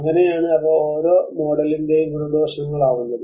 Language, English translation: Malayalam, So that is how they are both pros and cons of each model